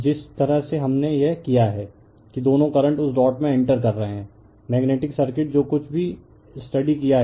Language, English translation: Hindi, The way we have done it that you you you are what you call both current are entering into that dot the magnetic circuit whatever you have studied, right